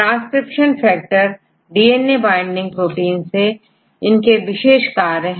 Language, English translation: Hindi, Transcription factors are DNA binding proteins right they have specific functions